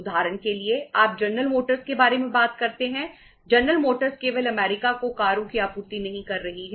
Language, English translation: Hindi, General Motors is not supplying cars to US only